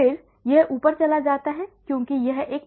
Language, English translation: Hindi, And then it goes up because it is a parabolic relation